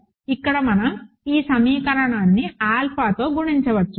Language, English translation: Telugu, We can multiply this equation here by alpha